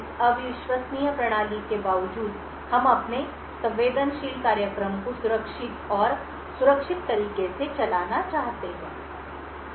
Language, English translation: Hindi, In spite of this untrusted system we would want to run our sensitive program in a safe and secure manner